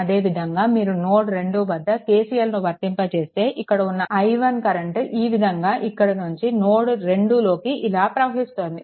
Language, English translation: Telugu, Then here if you to apply your KCL at node 3, here, if you apply KCL, then this i 1 current actually entering into this node right